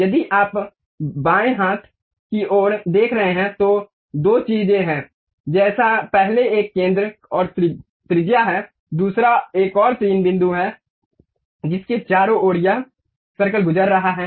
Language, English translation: Hindi, If you are seeing on the left hand side, there are two things like first one is center and radius, second one is some three points around which this circle is passing